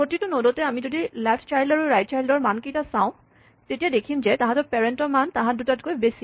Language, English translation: Assamese, So, at every node if you look at the value and we look at the value in the left child and the right child then the parent will have a larger value than the both the children